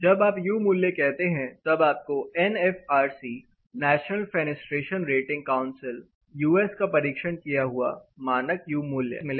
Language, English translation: Hindi, When you say U value, typically, you will get NFRCR National Fenestration Rating Counselor of US standard tested U value